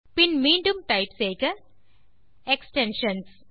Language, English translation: Tamil, then type again extensions